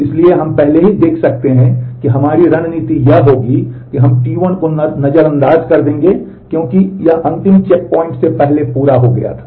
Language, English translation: Hindi, So, we can we have already seen that our strategy would be that we will ignore T 1 because it had completed before the last checkpoint